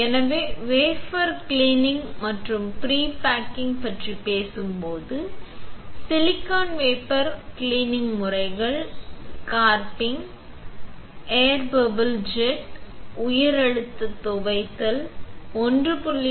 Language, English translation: Tamil, So, when we talk about wafer cleaning and pre baking, silicon wafer cleaning methods are scrubbing, air bubble jet, high pressure rinse, sonication at 1